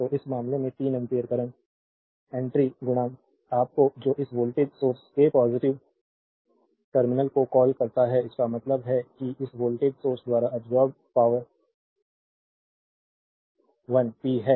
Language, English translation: Hindi, So, in this case 3 ampere current entering into the your what you call positive terminal of this voltage source so; that means, power absorbed by this voltage source this is p 1